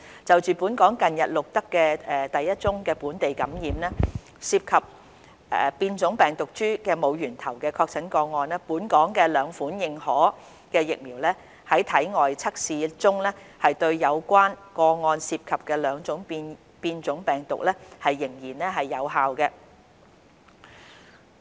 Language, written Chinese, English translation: Cantonese, 就本港近日錄得的第一宗於本地感染，涉及變種病毒株的無源頭確診個案，本港兩款認可疫苗在體外測試中對有關個案涉及的兩種變種病毒依然有效。, Regarding the first local case of infection with unknown source involving a mutant virus strain the two authorized vaccines in Hong Kong are still effective in vitro testing against the two mutant viruses detected in the relevant case